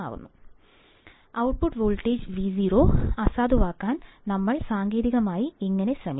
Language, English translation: Malayalam, So, how do we technically try to null the output voltage Vo